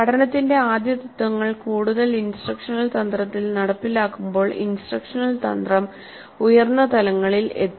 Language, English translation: Malayalam, As more of the first principles of learning get implemented in the instructional strategy, the instructional strategy will reach higher levels